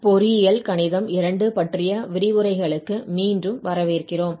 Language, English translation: Tamil, Welcome back to lectures on Engineering Mathematics II